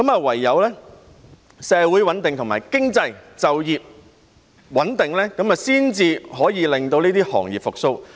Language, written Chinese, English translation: Cantonese, 唯有社會、經濟及就業穩定，才可以令這些行業復蘇。, Only a stable social economic and employment condition can help the revival of the industry